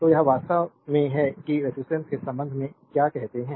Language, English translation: Hindi, So, this is actually that what you call regarding the resistance